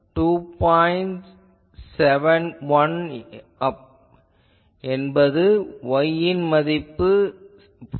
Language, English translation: Tamil, 271, when y is equal to 4